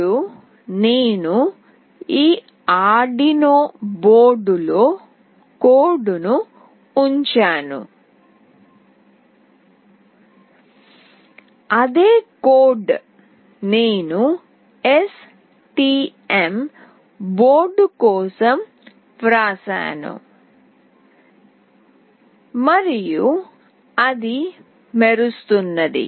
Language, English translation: Telugu, Now see I have put up the code into this Arduino board, the same code that I have written for STM board and it is glowing